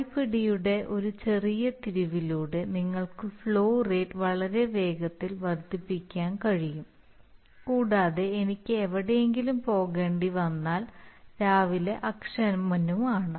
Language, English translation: Malayalam, So that you can, by a small turn of the knob, you can increase the flow rate very fast and then I was also impatient in the morning I had to go somewhere so I was very quickly moving the knob